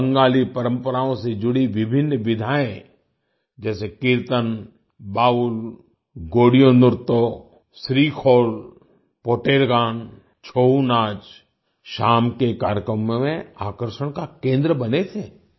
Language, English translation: Hindi, Various genres related to Bengali traditions such as Kirtan, Baul, Godiyo Nritto, SreeKhol, Poter Gaan, ChouNach, became the center of attraction in the evening programmes